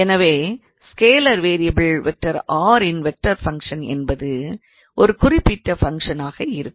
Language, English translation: Tamil, So, any vector function of the scalar variable r can be of that particular function ok